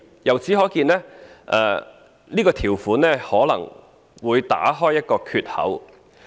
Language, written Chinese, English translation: Cantonese, 由此可見，這項條款可能會打開一個缺口。, It is thus evident that this provision can open up a loophole